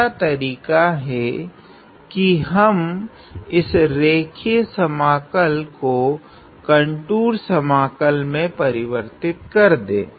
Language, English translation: Hindi, The other way is to complete to change this line integral into a contour integral